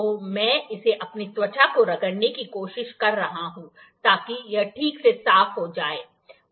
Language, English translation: Hindi, I am trying to rub it with my skin, so that it is clean properly